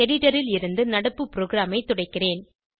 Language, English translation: Tamil, I will clear the current program from the editor